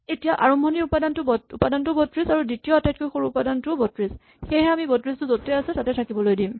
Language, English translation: Assamese, Now, the starting element is 32 and the second smallest element also happens to be 32 that is the smallest element in this slice